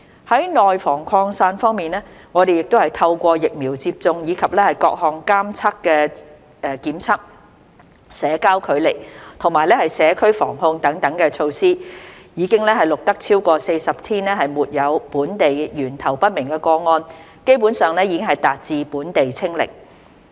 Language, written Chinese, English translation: Cantonese, 在內防擴散方面，我們亦透過疫苗接種，以及各項監測檢測、社交距離和社區防控等措施，已經錄得超過40天沒有本地源頭不明個案，基本上已達致本地"清零"。, In preventing the spreading of the virus in the community with the vaccination programme and the various surveillance testing social distancing and community prevention and control measures we have recorded over 40 days with no local unlinked cases and have essentially achieved zero cases locally